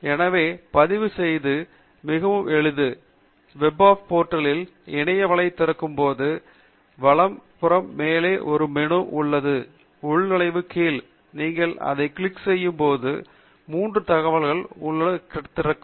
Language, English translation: Tamil, So, the registration is very simple, when you open the Web of Science portal on the right hand side top there is a menu, under Sign In, and when you click on that there are three tabs that will open